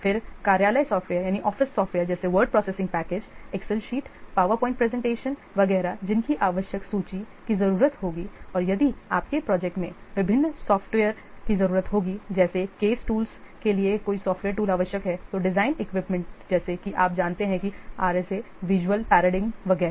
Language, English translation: Hindi, That will be used in a program in your project project then office of the office software such as WordPressing package Excel sheet powerpoint presentation etc that will be required list of that and if any what software tools are required by your projects such as various case tools or design tools such as you know that RSA visual paradigm, etc